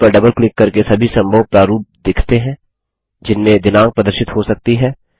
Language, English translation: Hindi, Double clicking on the date shows all the possible formats in which the date can be displayed